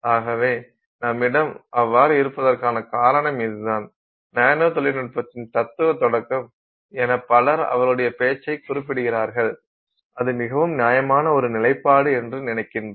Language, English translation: Tamil, So that's the reason why we have so many people referring to his talk as the sort of this, you know, philosophical start of nanotechnology, and I think that is an extremely justified position to take